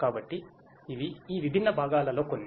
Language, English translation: Telugu, So, these are some of these different components